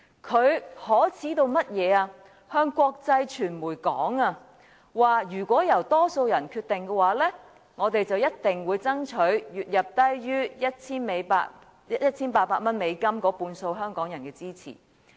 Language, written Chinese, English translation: Cantonese, 他向國際傳媒表示如果由多數人決定，他們便一定會爭取月入低於 1,800 美元的半數香港人的支持。, He has even told the international media that if the decision is to be made by the majority of people they will definitely campaign for support from half of the Hong Kong public whose monthly income is under US1,800